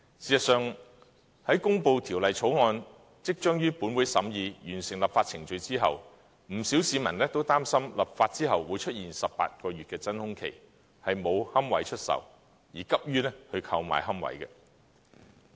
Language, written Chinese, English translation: Cantonese, 事實上，《私營骨灰安置所條例草案》即將於立法會審議，完成立法程序後，不少市民擔心立法後會出現18個月的真空期，沒有龕位出售，而急於購買龕位。, In fact as the Private Columbaria Bill the Bill will soon be scrutinized in the Legislative Council many people have hastened to purchase niches for fear that no niches would be available for sale during the vacuum period of some 18 months after the completion of the legislative process